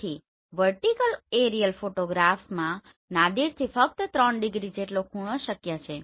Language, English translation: Gujarati, So in vertical aerial photographs tilt angle is possible only up to 3 degree from Nadir